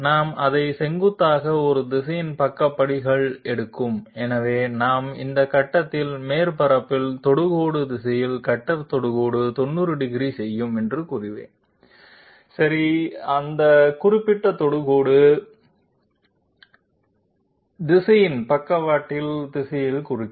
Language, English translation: Tamil, We will take sidestep at a direction perpendicular to it, so we will say that tangential direction on the surface at this point making 90 degrees with the cutter tangent okay that particular tangential direction will mark the direction of the sidestep